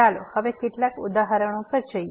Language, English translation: Gujarati, Let us go to some examples now